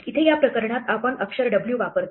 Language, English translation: Marathi, In this case we use a letter ‘w’